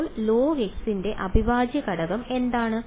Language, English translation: Malayalam, So, what is the integral of log x